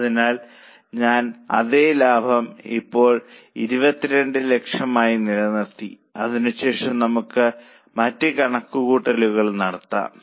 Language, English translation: Malayalam, So, I have kept the same profit now, 22 lakhs, and then we can do other calculations